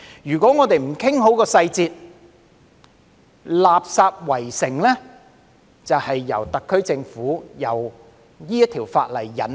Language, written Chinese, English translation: Cantonese, 如果我們不訂好細節，"垃圾圍城"就是由特區政府提出這項法例引起。, If we do not work out the details properly a garbage siege will come into being with the introduction of this legislation by the SAR Government